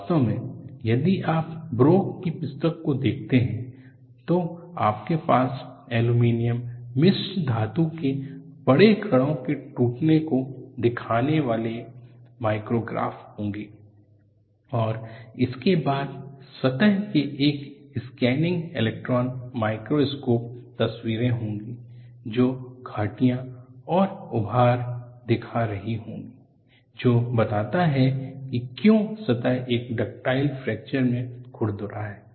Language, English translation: Hindi, In fact, if you go and look at the book by broek, you would have micrographs showing breaking of large particles in an aluminum alloy, and followed by scanning electron microscope photograph of the surface, showing valleys and mounts, which explains why the surface has been rough in a ductile fracture